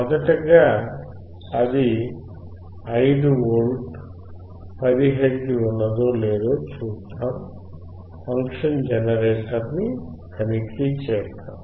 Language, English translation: Telugu, First we will see whether it is 5V or not; whether it is 10 hertz or not